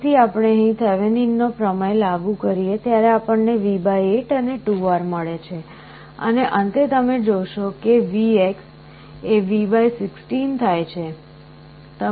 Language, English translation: Gujarati, You apply Thevenin’s theorem again you get V / 8 and 2R and finally, you will see that VX becomes V / 16